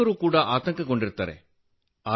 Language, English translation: Kannada, Teachers also get upset